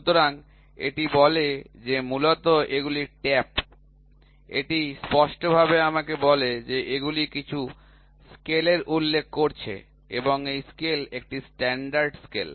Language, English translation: Bengali, So, this tells me these are taps basically this clearly tells me that these are referring to some scale and this scale is a standard scale